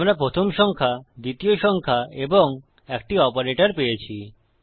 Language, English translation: Bengali, We have got our first number, our second number and an operator